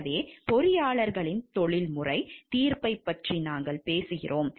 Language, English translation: Tamil, So, where we are talking of professional judgment of the engineers